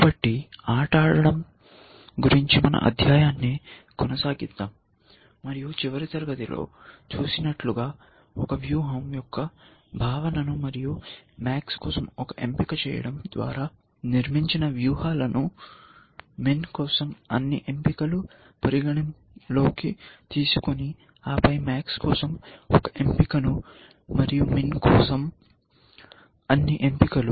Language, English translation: Telugu, So, let us continue with a study of game playing, and we saw in the last class the notion of a strategy, and a strategies constructed by making one choice for max, considering all choices for min, and then one choice for max, and then all choices for min